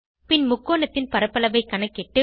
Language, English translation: Tamil, Then we calculate the area of the triangle